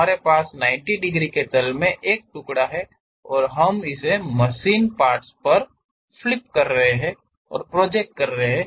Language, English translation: Hindi, Actually we have a slice in the perpendicular 90 degrees plane and that we are flipping and projecting it on the machine element